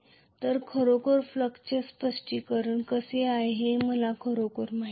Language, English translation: Marathi, So I just really do not know how the really fluxes are explained